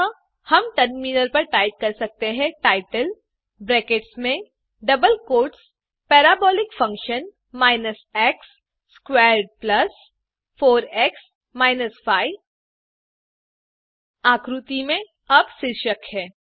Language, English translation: Hindi, So, we can type in the terminal title within brackets and double quotes Parabolic function x squared plus 4x minus 5 The figure now has a title